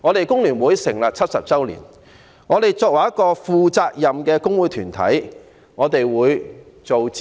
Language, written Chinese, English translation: Cantonese, 工聯會成立了70年，作為一個負責任的工會團體，我們會進行諮詢。, As a responsible trade union federation established 70 years ago FTU consults its members